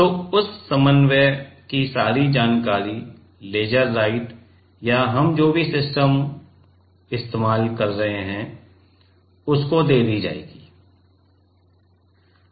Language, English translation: Hindi, So, that coordination all the information will be given to the laser writer or whatever system we are using